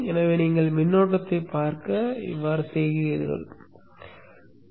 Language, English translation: Tamil, So let's say you want to see the current